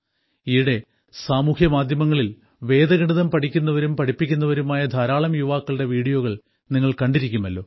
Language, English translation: Malayalam, You must have seen videos of many such youths learning and teaching Vedic maths on social media these days